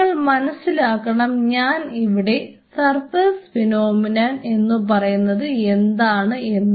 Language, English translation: Malayalam, So, you have to realize what I meant by surface phenomena